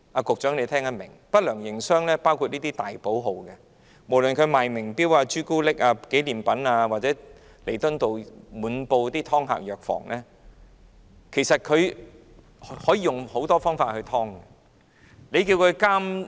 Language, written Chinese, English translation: Cantonese, 局長應聽得懂，不良營商的還包括這些大寶號，無論是售賣名錶、巧克力、紀念品的，或是滿布彌敦道的藥房，"劏客"手法層出不窮。, The Secretary should understand what I am saying . Unscrupulous operators also include various big companies selling brand name watches chocolates and souvenirs as well as the numerous drug stores along Nathan Road . Such shops have various ways to rip off customers